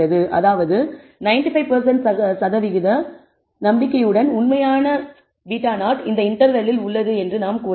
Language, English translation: Tamil, That means, with 95 percent confidence we can claim that the true beta naught lies in this interval